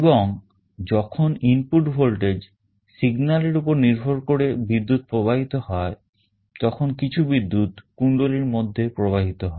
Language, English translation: Bengali, And when there is a current flowing depending on the input voltage signal there will be some current flowing in the coil